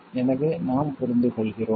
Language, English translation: Tamil, So, we understand